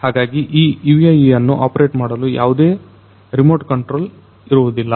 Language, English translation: Kannada, So, this particular UAV does not need any remote control